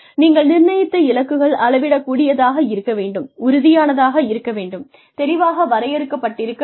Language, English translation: Tamil, The goals that you assign, should be measurable, should be tangible, should be clearly defined